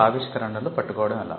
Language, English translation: Telugu, How to catch inventions